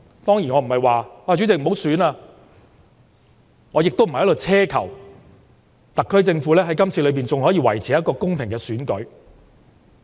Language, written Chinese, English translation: Cantonese, 當然我不會要求不要舉行選舉，我也並非在此奢求特區政府在今次的選舉中，仍可以維持公平公正。, Of course I would not go so far as to request the cancellation of the election or ask the SAR Government to keep the election fair and just